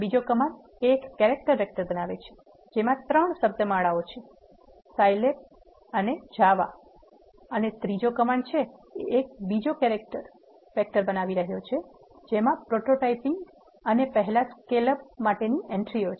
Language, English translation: Gujarati, The second command creates a character vector which contains 3 strings are Scilab and java; and the third command here is creating another character vector which is having entries for prototyping and first scale up